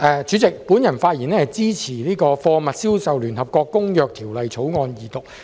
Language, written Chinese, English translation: Cantonese, 代理主席，我發言支持二讀《貨物銷售條例草案》。, Deputy President I speak in support of the Second Reading of the Sale of Goods Bill the Bill